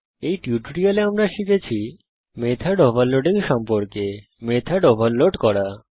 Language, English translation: Bengali, In this tutorial we will learn What is method overloading